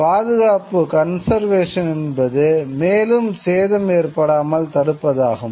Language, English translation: Tamil, But what conservation does is to prevent further damage